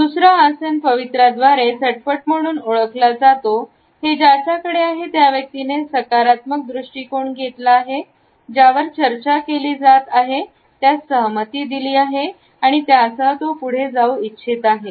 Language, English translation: Marathi, The second posture is known as instant by posture; it is taken up by a person who has a positive attitude, has agreed to whatever is being discussed and wants to move on with it